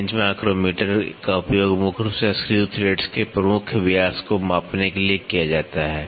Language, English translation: Hindi, Bench micrometer is predominantly used to measure the major diameter of screw threads